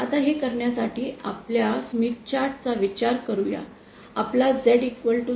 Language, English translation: Marathi, Now to do this, let us consider our Smith chart, our Z equal to 0